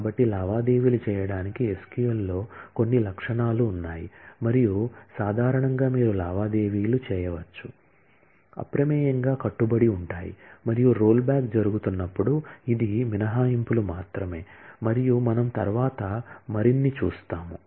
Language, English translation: Telugu, So, there are some features in the SQL for doing transactions and, but usually you can transactions, commit by default and the only it is exceptions, when the rollback is happening and we will see more of that later